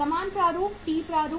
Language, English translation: Hindi, Same format, T format